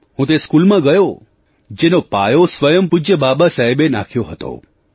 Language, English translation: Gujarati, I went to the school, the foundation of which had been laid by none other than respected Baba Saheb himself